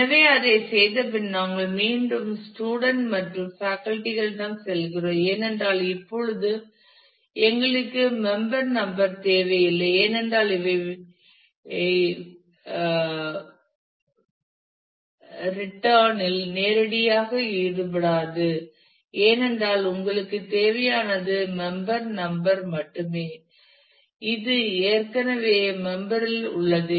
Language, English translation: Tamil, So having done that, we again go back to the student and faculty, because now we do not need member number in that anymore; because these will not directly be involved in the issue return, because all that you need is just the member number which is already there in the members